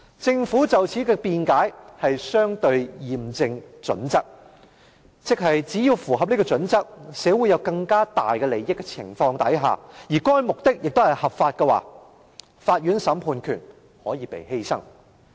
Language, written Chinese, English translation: Cantonese, 政府對此的辯解是"相稱驗證準則"，即只要符合這準則，對社會有更大利益的情況下，而該目的又合法的話，法院審判權可以被犧牲。, The Governments argument is the proportionality test meaning that as long as this criterion is met and if it would benefit society more and the goal is legal the counts judicial power can be sacrificed